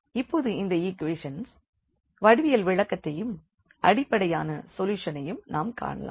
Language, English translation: Tamil, And, now we look for the geometrical interpretation of these equations and the solution basically